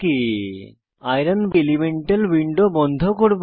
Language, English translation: Bengali, I will close Iron elemental window